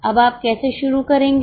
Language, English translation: Hindi, How will you start now